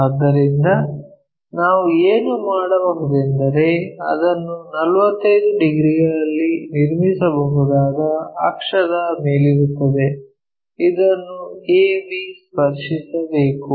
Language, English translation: Kannada, So, what we can do is on the axis itself we can construct it at 45 degrees this a b has to touch